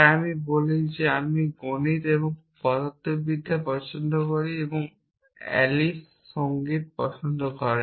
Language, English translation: Bengali, So, I say I like math’s and physics a Alice likes music